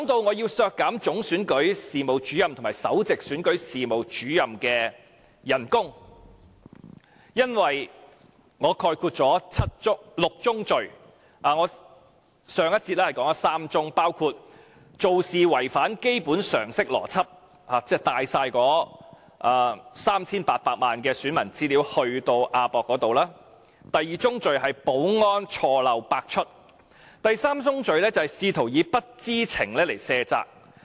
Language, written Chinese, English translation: Cantonese, 我要削減總選舉事務主任及首席選舉事務主任的薪酬，因為我概括了6宗罪，我在上一節已提及3宗，包括做事違反基本常識邏輯，即攜帶全部 3,800 萬名選民資料往亞洲國際博覽館；第二宗罪是保安錯漏百出；第三宗罪是試圖以不知情來卸責。, I wish to cut the emoluments of Chief Electoral Officer and Principal Electoral Officer for the six fallacies they committed . I covered three in my last speech including their illogical practice of having brought with them the data of 38 million electors to the AsiaWorld - Expo; secondly their loophole - plagued security arrangement; and thirdly their attempt to shirk responsibility by claiming ignorance